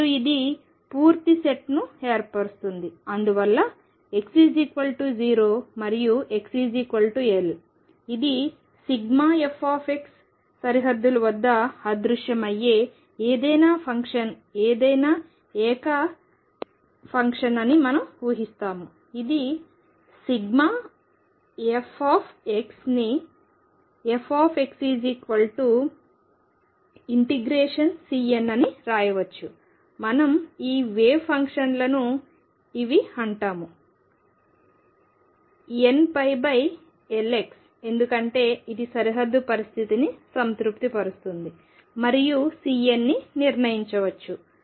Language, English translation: Telugu, And we assume that this forms a complete set and therefore, any function some arbitrary function which vanishes at the boundaries x equals 0 and x equals L, this is sum f x can be written as f x equals integration C n we call these wave functions these functions are n pi over L x, because this satisfies the boundary condition and the C n can be determined